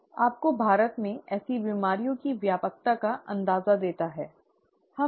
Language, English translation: Hindi, Gives you an idea of the prevalence of such diseases in India